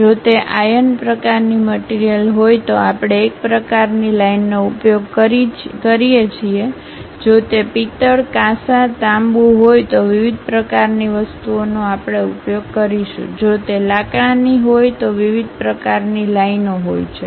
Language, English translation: Gujarati, If it is iron kind of material one kind of lines we use; if it is brass, bronze, copper different kind of things we will use; if it is wood different kind of lines